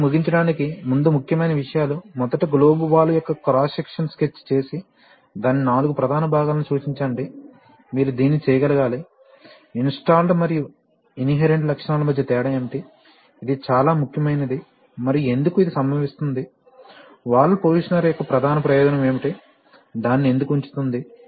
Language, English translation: Telugu, So to end, points to ponder, first is sketch the cross section of a globe valve and indicate four of its major parts, you should be able to do that, what is the difference between installed and inherent characteristics, this is extremely important and why this occurs, what is the main advantage of a valve positioner, why one puts it